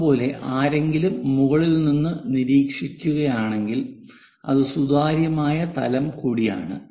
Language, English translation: Malayalam, Similarly, if someone is observing from top that is also transparent plane